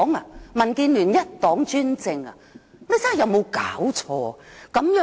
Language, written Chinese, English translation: Cantonese, 是民建聯一黨專政嗎？, Are we under the one - party dictatorship of the DAB?